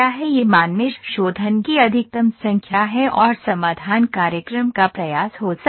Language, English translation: Hindi, This value is the maximum number of mesh refinement and solution is the program may attempt